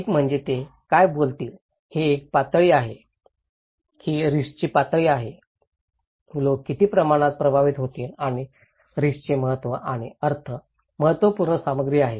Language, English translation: Marathi, One is, what is they will talk is the level okay, it’s level of risk, what extent people will be affected and the significance and the meaning of risk is important content